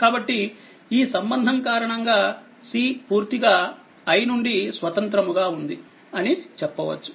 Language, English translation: Telugu, So, because of this relationship we will say c is completely independent y